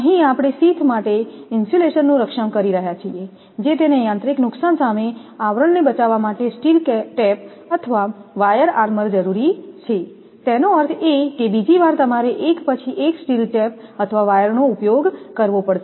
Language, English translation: Gujarati, We are protecting insulation for the sheath now steel tape or wire armour is necessary to protect the sheath against mechanical damage; that means, another round you have to use for steel tape or wire one after another